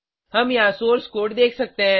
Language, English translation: Hindi, We can see the source code here